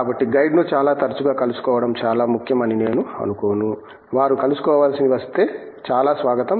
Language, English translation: Telugu, So, I don’t think that it is important to meet the guide on a very frequent basis, if they have to meet, most welcome